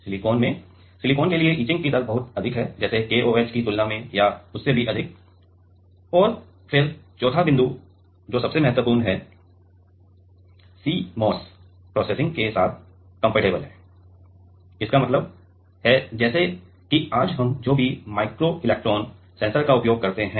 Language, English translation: Hindi, In the silicon, for the silicon etching rate is pretty high, like comparable to KOH or even higher and then the fourth point is the most important that is the compatible with CMOS processing; that means, like whatever micro electron is sensors we use today